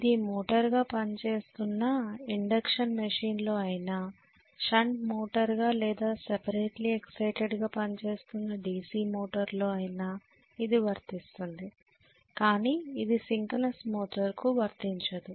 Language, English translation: Telugu, This is true in induction machine when it is working as the motor, this is very true in the case of DC machine when it is again working as a shunt motor or separately exited motor, this is not true only in synchronous motor